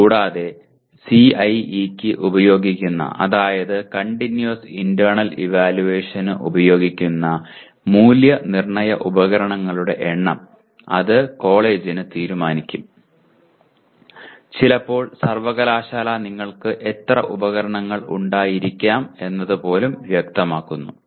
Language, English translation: Malayalam, And the number of Assessment Instruments used for CIE that is Continuous Internal Evaluation where it is decided by the college and sometimes even the university specifies even this, how many instruments you can have